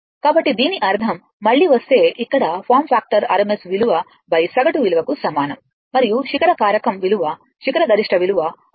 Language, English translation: Telugu, So, that means, I mean here if you come again ah that your form factor is equal to rms value by average value and your peak factor is equal to maximum value point points your what you call is equal to maximum value by rms value